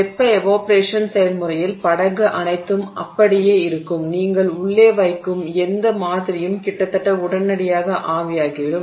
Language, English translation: Tamil, In the thermal evaporation process, all of the sample, the boat remains intact, whatever sample you put inside almost instantaneously evaporates